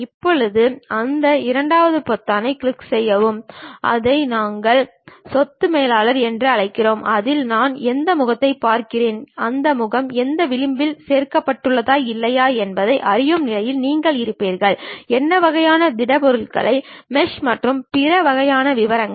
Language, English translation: Tamil, Now, let us move on to that second button that is what we call property manager In that you will be in a position to know which face I am really looking at, whether that face is added by any edge or not, what kind of solids are have been meshed and other kind of details